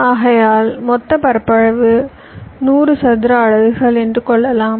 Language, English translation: Tamil, i know that the total area is hundred square units